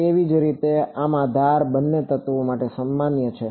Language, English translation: Gujarati, Similarly in this the edge is common to both elements